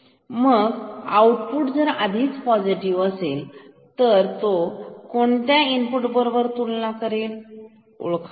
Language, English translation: Marathi, So, if output is already positive then compare input with can you guess